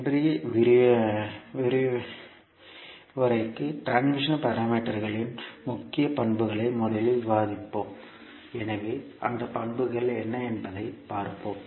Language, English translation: Tamil, For today’s lecture we will first discuss the key properties of the transmission parameters, so we will see what are those the properties